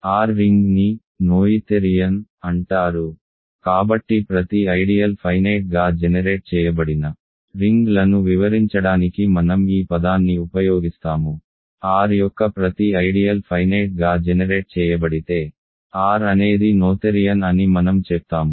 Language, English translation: Telugu, A ring R is called “noetherian” ok, so I will use this word to describe rings where every ideal is finitely generated, if every ideal of R is finitely generated then I say that R is noetherian